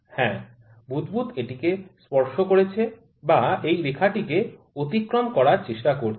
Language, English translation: Bengali, Yes, the bubble has touched or, it is trying to cross the line here